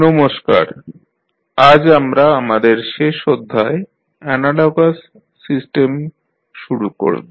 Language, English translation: Bengali, Namaskar, so today we will start our last topic of the course that is analogous system